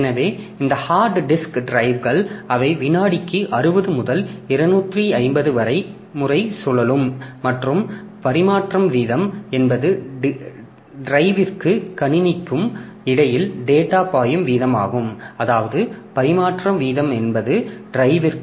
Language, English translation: Tamil, So, this hard disk drives they rotate at 60 to 250 times per second and transfer rate is the rate at which data flows between drive and computer